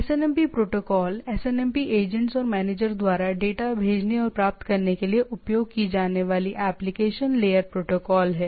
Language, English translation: Hindi, And we have a SNMP protocol is the application layer protocol that is SNMP agents and manager sends and receive data